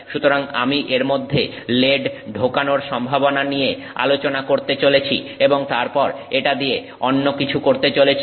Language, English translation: Bengali, So, I am going to discuss the possibility of putting lead inside it and then doing something else with it